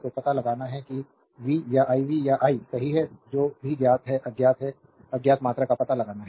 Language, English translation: Hindi, So, you have to find out v or i v or i right whatever it is known are unknown, unknown quantities you have to find out